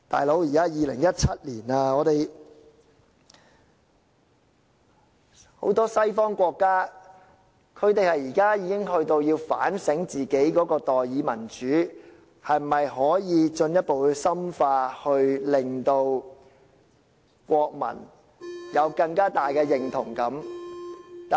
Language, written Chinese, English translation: Cantonese, "老兄"，現在已是2017年，很多西方國家已開始反省自己的代議民主是否可以進一步深化，令國民有更大的認同感。, Buddy it is already 2017 now and many Western countries have been reviewing their representative democracy to see if it can be further deepened so as to develop a stronger sense of identity among the people